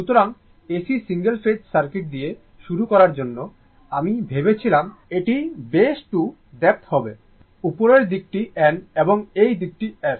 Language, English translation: Bengali, So, to start with AC single phase circuit, I thought this will be the base to depth this side is upper side is N and this side is S right